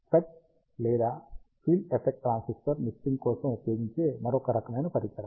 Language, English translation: Telugu, FET or field effect transistor is an another type of device that is used for mixing